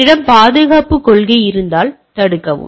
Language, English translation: Tamil, If I have a security policies, prevent